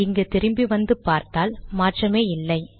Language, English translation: Tamil, Come back here, it doesnt change at all